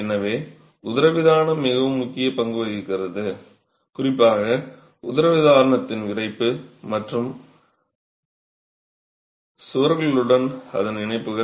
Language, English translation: Tamil, So, diaphragm has a very important role to play, particularly the stiffness of the diaphragm and its connections with the rest of the walls